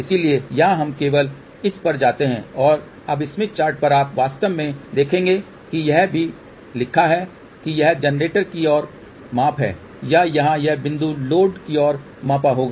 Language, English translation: Hindi, So, here we simply go to this and now on the smith chart you will actually see that it is also written that this is a measurement toward generator or this point here it will be measurement towards load